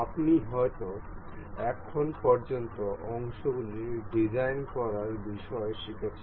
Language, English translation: Bengali, You may have learned up till now regarding designing of the parts